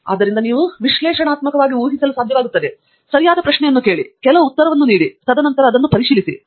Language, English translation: Kannada, So, you should be able to analytically reason out, ask the right question, postulate some answer, and then, check it out and then